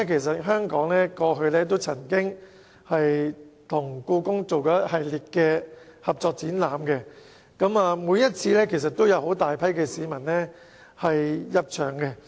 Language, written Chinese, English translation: Cantonese, 再者，香港過去曾經和故宮博物院進行一系列合作展覽，每次都有很多市民入場。, Furthermore Hong Kong had jointly staged a series of exhibitions with the Beijing Palace Museum in the past and many people attended on each occasion